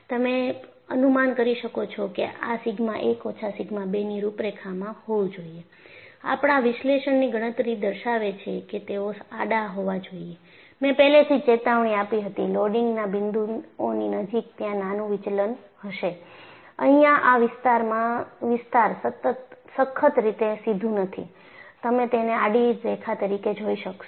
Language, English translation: Gujarati, So, you can infer that these should be contours of sigma 1 minus sigma 2 because that is what our analytical calculation showed that they have to behorizontal; they are horizontal and I had already warned near the points of loading, there would be small deviation; here it is not strictly straight in this zone; you are able to see that as horizontal lines